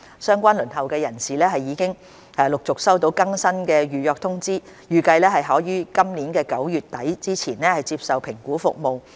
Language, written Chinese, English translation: Cantonese, 相關輪候人士已陸續收到更新的預約通知，預計可於今年9月底前接受評估服務。, These relevant people on the waiting list are gradually being notified of an updated appointment for assessment to be conducted before the end of this September